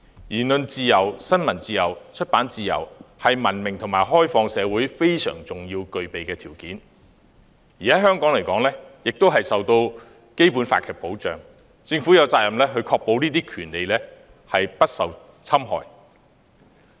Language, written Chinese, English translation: Cantonese, 言論自由、新聞自由及出版自由，是文明和開放社會應具備的非常重要的條件，在香港皆受《基本法》保障，政府有責任確保這些權利不受侵害。, Freedom of speech of the press and of publication are essential requirements for a civilized and open society . In Hong Kong these rights are protected by the Basic Law and the Government has a duty to ensure that such rights are not infringed